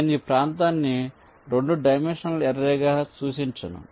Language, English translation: Telugu, i am not representing the area as a two dimensional array any more